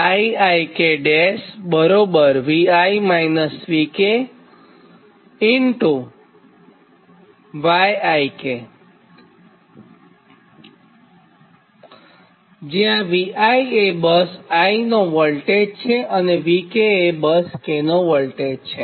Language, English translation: Gujarati, bi is the voltage of bus i and bk is the voltage of bus k